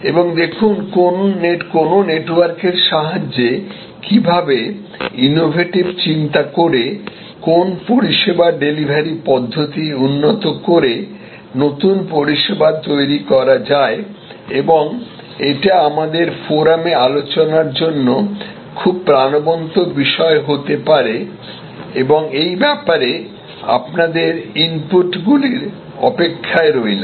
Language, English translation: Bengali, And see, what a service delivery mechanisms can be improved innovative new services created by thinking innovatively on the power of network and can be very lively topic for discussion on our forum and look forward to your inputs